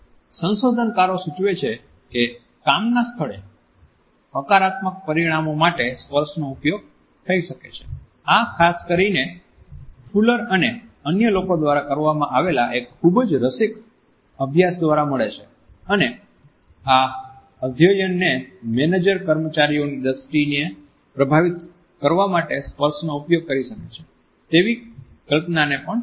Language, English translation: Gujarati, Researchers suggest that touch may be used to positive outcomes in the workplace, this is particularly supported by a very interesting study which was done by Fuller and others and this study had supported the notion that managers may use touch to influence the perceptions of employees